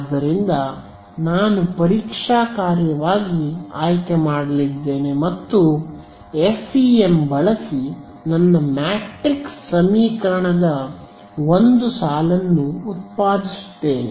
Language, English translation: Kannada, So, I am going to choose T 1 as testing function and generate one row of my matrix equation from FEM only one row ok